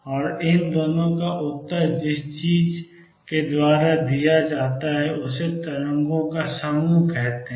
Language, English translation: Hindi, And both of these are answered by something call the group of waves